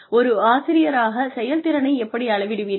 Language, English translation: Tamil, How do you measure effectiveness as a teacher